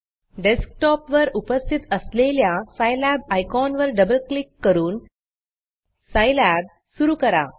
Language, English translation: Marathi, Start Scilab by double clicking on the Scilab icon present on your Desktop